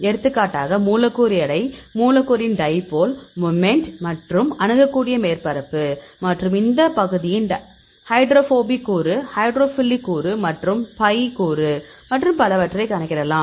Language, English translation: Tamil, For example, molecular weight, dipole moment of the molecule and accessible surface area, and the hydrophobic component of this area, hydrophilic component and pi component and so on